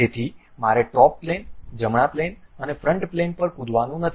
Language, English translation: Gujarati, So, I do not have to really jump on to top plane, right plane and front plane